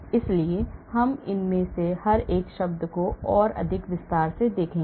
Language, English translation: Hindi, So we will look at each one of these terms now in more detail